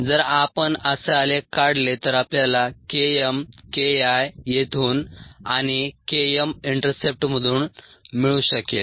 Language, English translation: Marathi, if we plotted that way, then we could get k m, k, k, k, i from here and k m from the intercept